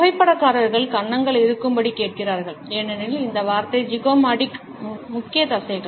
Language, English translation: Tamil, Photographers asks you to stay cheeks because this word was zygomatic major muscles